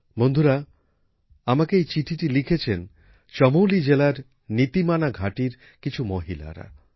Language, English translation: Bengali, Friends, this letter has been written to me by the women of NitiMana valley in Chamoli district